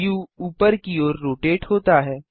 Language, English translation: Hindi, The view rotates upwards